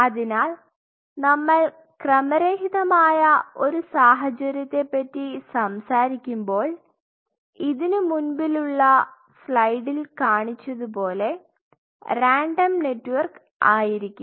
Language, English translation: Malayalam, So, when we talk about a random scenario, what I showed you in the previous slide if you look at it is a very random network